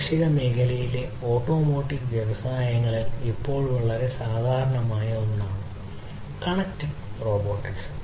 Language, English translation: Malayalam, Connected robotics is something that is quite common now in automotive industries in agricultural, you know, fields